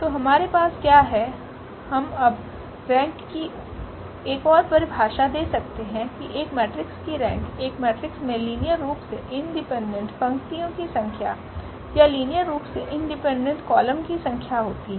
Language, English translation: Hindi, So, what we have, we can now give another definition the rank of a matrix is the number of linearly independent rows or number of linearly independent columns in a matrix that is the rank